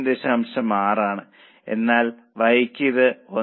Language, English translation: Malayalam, 6 but for Y it is 1